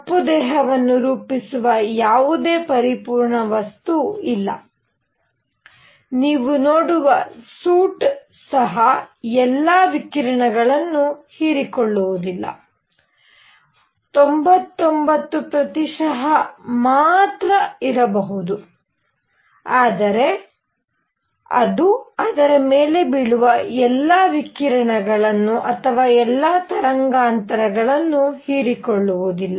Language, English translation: Kannada, There is no perfect material that forms a black body even the suit that you see does not absorb all the radiation may be 99 percent, but it does not absorb all the radiation falling on it or for all the wavelength